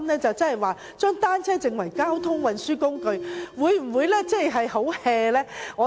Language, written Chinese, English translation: Cantonese, 將單車定為交通運輸工具，會否太隨便？, Is it too reckless to designate bicycles as a mode of transport?